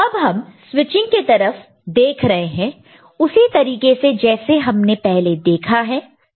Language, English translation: Hindi, So, now we look at the switching, the way we have already seen it, we have understood it – ok